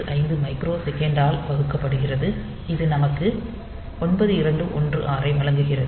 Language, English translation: Tamil, 085 microsecond that gives us 9216